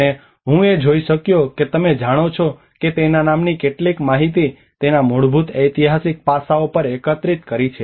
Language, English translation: Gujarati, And I could able to see that you know gathered some information from his work basically on the historical aspects of it